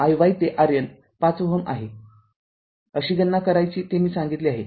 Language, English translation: Marathi, And this we told you that how we will get your R N is equal to 5 ohm